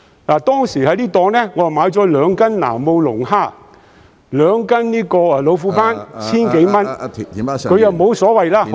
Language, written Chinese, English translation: Cantonese, 我當時在那個檔口購買了兩斤南澳龍蝦、兩斤老虎斑，合共千多元，他沒所謂......, I bought two catties of South Australian lobsters and two catties of tiger groupers at that stall spending a total of over 1,000 . He did not mind